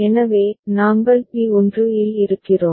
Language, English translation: Tamil, So, we are at P1